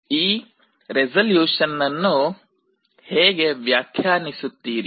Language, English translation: Kannada, How do you define the resolution